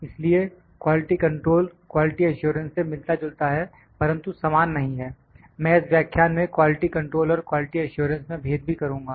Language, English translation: Hindi, So, quality control is similar to but not identical with than other term known as quality assurance, I will differentiate between the quality control and quality assurance is this in this lecture as well